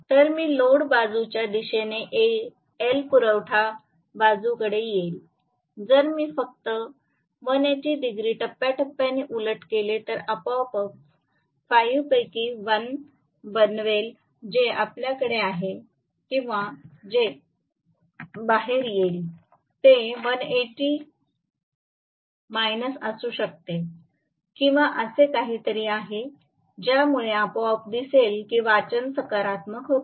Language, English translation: Marathi, So, M toward the load side L will come towards the supply side, if I just reverse 180 degree out of phase will automatically make 1 of the 5 whatever we have 30 plus Φ or 30 minus Φ come out to be may be 180 minus or something like that because of which you will automatically see that the reading becomes positive